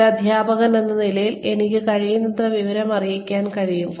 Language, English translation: Malayalam, As a teacher, I can be as informed as possible